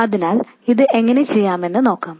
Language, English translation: Malayalam, So, let's see how to do this